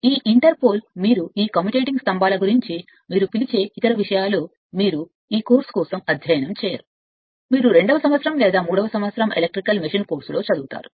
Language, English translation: Telugu, This inter pole you are what you call about this commutating poles other things you will not study for this course you will study in your second year or third year electrical machine course